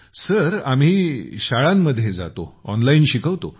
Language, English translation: Marathi, We go to schools, we give online education